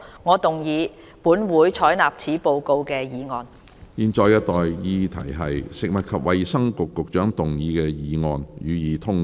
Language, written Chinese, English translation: Cantonese, 我現在向各位提出的待議議題是：食物及衞生局局長動議的議案，予以通過。, I now propose the question to you and that is That the motion moved by the Secretary for Food and Health be passed